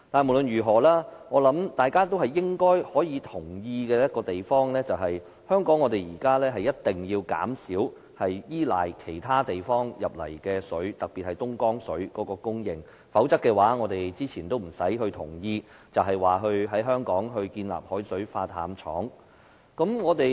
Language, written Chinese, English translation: Cantonese, 無論如何，有一點我想大家應該都會同意，便是香港如今一定要減少依賴其他地方供水，特別是東江水的供應，否則，我們之前也不用表示同意在香港興建海水化淡廠了。, Nevertheless I think everyone would agree on one point Hong Kong must reduce its dependence on water supplies from other places especially the water supply from Dongjiang . Otherwise we need not say earlier that we agree to build a seawater desalination plant in Hong Kong